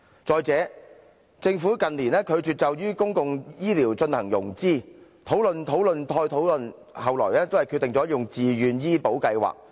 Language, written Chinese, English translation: Cantonese, 再者，政府近年拒絕就公共醫療進行融資，討論、討論再討論，後來都是決定採用"自願醫保計劃"。, Moreover the Government has refused to implement financing of public healthcare services . Discussions had been held again and again and the authorities eventually decided to implement the Voluntary Health Insurance Scheme